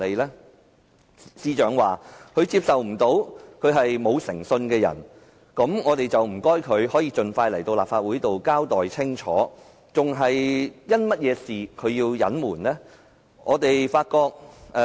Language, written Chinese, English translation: Cantonese, 司長說，她無法接受自己是個無誠信的人，那麼我想請她盡快前來立法會交代清楚，她為何要隱瞞？, The Secretary for Justice said that she could not accept herself as a person without integrity . Then I would like to invite her to attend before the Council as soon as possible to come clean with us . Why is she hiding those facts?